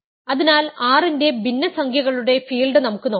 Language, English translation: Malayalam, So, we can look at the field of fractions of R